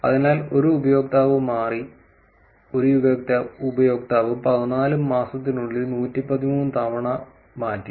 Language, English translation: Malayalam, So, one user changed, one user changed it 113 times in 14 months